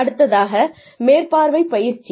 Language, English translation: Tamil, Then, supervisory training